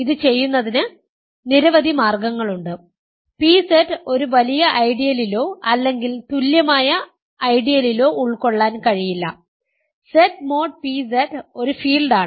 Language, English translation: Malayalam, There are several ways of doing this, pZ cannot be contained in a bigger ideal or equivalently, Z mod pZ is a field